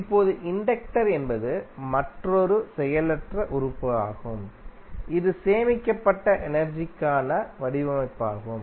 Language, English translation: Tamil, Now, inductor is another passive element which is design to stored energy